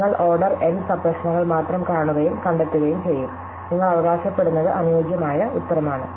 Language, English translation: Malayalam, So, you would only look at order N sub problems and find, what you claim is an optimal answer